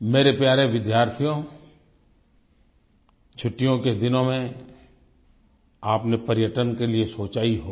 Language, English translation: Hindi, My dear students, you must have thought of travelling to places during your holidays